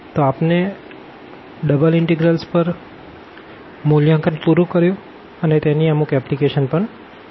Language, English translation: Gujarati, So, we have already finished evaluation of double integrals and many other applications of double integral